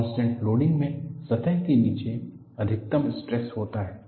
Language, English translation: Hindi, In the contact loading the maximum stresses occurs beneath the surface